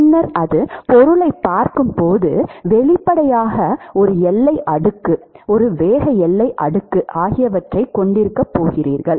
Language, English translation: Tamil, Then when it sees the object, obviously you are going to have a boundary layer, a velocity boundary layer or a momentum boundary layer